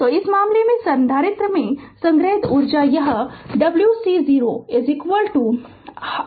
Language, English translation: Hindi, So, in this case the stored energy in the capacitor is this w c 0 is equal to half C V 0 square right